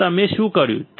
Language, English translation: Gujarati, So, what you have done